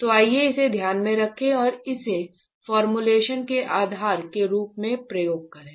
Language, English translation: Hindi, So, let's keep that in mind and use this as a basis for the formulations